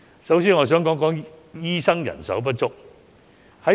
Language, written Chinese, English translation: Cantonese, 首先，我想談談醫生人手不足的問題。, First I would like to talk about the manpower shortage of doctors